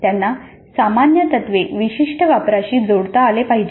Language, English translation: Marathi, They must be able to relate the general principles to the specific applications